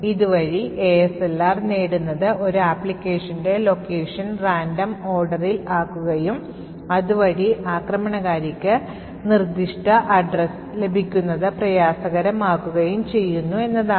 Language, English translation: Malayalam, What the ASLR achieves is that it randomises the address space of an application, thereby making it difficult for the attacker to get specific addresses